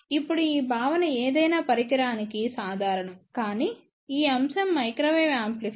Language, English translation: Telugu, Now, this concept is common to any general device, but since this topic is microwave amplifier